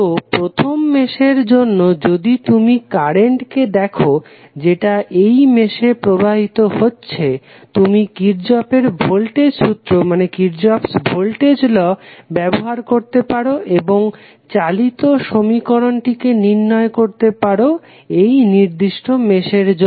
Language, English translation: Bengali, So, for first mesh if you see the current which is flowing in this particular mesh you can apply Kirchhoff Voltage Law and find out the governing equation of this particular mesh